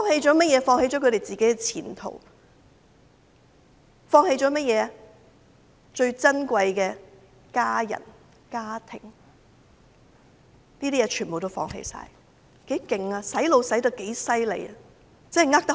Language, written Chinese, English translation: Cantonese, 就是放棄了自己的前途，放棄了最珍貴的家人、家庭，連這些也放棄了，他們被洗腦洗得多厲害。, They have abandoned their own future and relinquish their most invaluable family members and families . They have gone so far as to give up these things . How seriously they have been brainwashed!